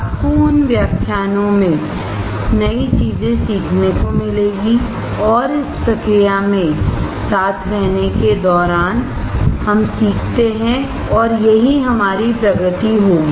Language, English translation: Hindi, You will find new things in those lectures and while we stay together in this process, we learn and that will be our progress